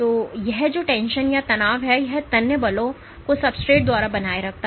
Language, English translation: Hindi, So, that this tension, these tensile forces are sustained by the substrate